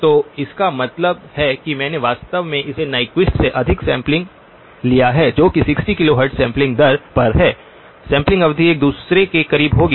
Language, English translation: Hindi, So which means that I have actually sampled it higher than Nyquist which is at 60 kilohertz sampling rate, sampling period would be closer to each other